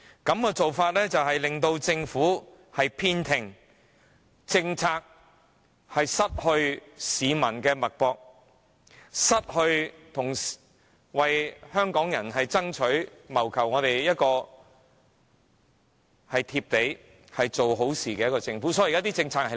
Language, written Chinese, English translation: Cantonese, 這種做法只會令政府偏聽，令政策不能掌握市民的脈搏，同時失去了一個為香港人爭取、謀福利、做好事而體察民情的政府。, Such a practice will only make the Government listen to one - sided views and render its policies unable to keep pace with peoples needs thus depriving Hong Kong people of a responsive government that works for their benefits and well - being